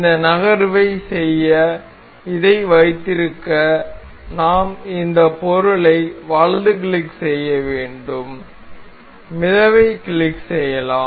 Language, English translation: Tamil, To keep it to make this move we have to right click this the object, we earned we can click on float